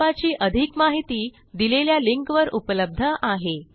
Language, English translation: Marathi, More information on this Mission is available at the following link